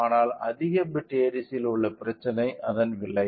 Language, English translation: Tamil, But, the problem with higher bit ADC is that cost